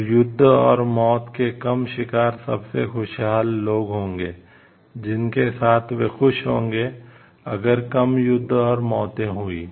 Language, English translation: Hindi, Then people with fewer wars and deaths, will be the most happy people they will feel happier, if there are fewer wars and death